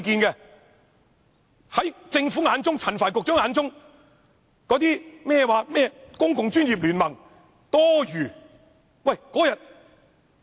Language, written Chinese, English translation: Cantonese, 在政府眼中，在陳帆局長眼中，甚麼公共專業聯盟是多餘的。, In the eyes of the Government and Secretary Frank CHAN the Professional Commons is useless